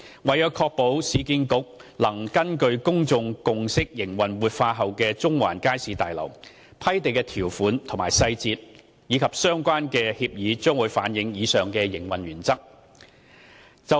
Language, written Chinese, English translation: Cantonese, 為確保市建局能根據公眾共識營運活化後的中環街市大樓，批地條款細節及相關協議將反映以上營運原則。, To ensure that URA can operate the revitalized Central Market Building in accordance with public consensus the above operating principles will be reflected in the detailed terms of the land grant and the relevant agreement